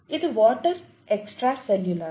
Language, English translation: Telugu, This is water maybe extracellular